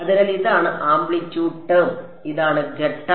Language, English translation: Malayalam, So, this is the amplitude term and this is the phase term